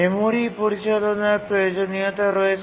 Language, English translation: Bengali, There are requirements on memory management